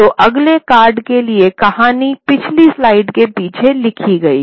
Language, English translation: Hindi, So, the story for the next card is written on the previous slide, behind the previous slide